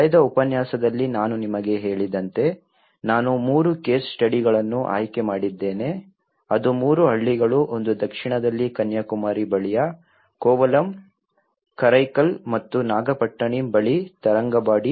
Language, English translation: Kannada, As I said to you in the last lecture, I have selected three case studies which is three villages one is a Kovalam in the South near Kanyakumari, the Tharangambadi which is near Karaikal and Nagapattinam